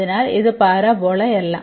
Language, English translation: Malayalam, So, this is not the parabola